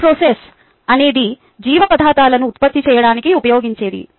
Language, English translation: Telugu, bioreactor is a bioprocess is something that is used to produce a biological substances